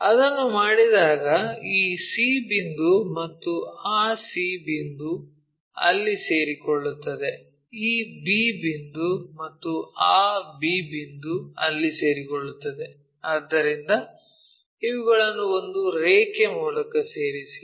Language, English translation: Kannada, When we do that c point and c point coincides there, b point and our b point coincides there, so join by a line